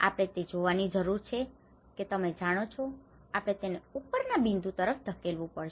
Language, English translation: Gujarati, We need to see that you know we have to push to the upper point